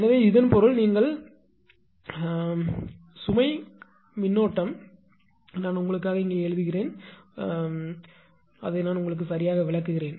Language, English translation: Tamil, So, that means, the load current your what you call, something I have a written here for you; something I have explain only right